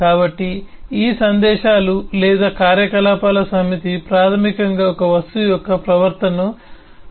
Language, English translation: Telugu, so this eh set of messages or operation basically define the behavior of an object